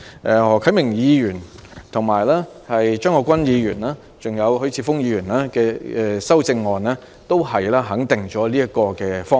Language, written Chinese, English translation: Cantonese, 何啟明議員、張國鈞議員及許智峯議員的修正案皆肯定了這個方向。, Mr HO Kai - ming Mr CHEUNG Kwok - kwan and Mr HUI Chi - fungs amendments affirm this direction